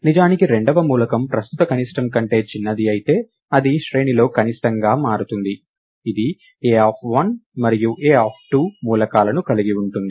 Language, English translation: Telugu, If indeed the second element is smaller than the current minimum, then it indeed becomes the minimum among the array, which consist of the elements a of 1 and a of 2